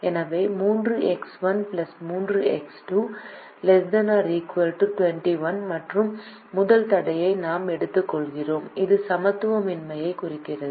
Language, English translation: Tamil, so we take the first constraint, which is three x one plus three x two, less than or equal to twenty one, which has an inequality